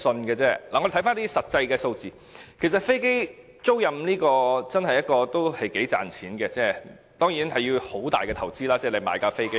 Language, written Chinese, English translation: Cantonese, 我們看回一些實際數字，其實飛機租賃業是一個頗賺錢的行業，當然，買一架飛機需要很大的投資。, Let us look into some actual figures . The aircraft leasing industry is indeed quite profitable though the purchase of an aircraft also involves huge investment